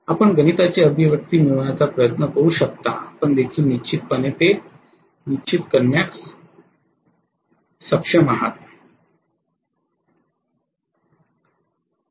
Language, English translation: Marathi, You can try to derive the mathematical expression also you guys would be able to definitely figure it out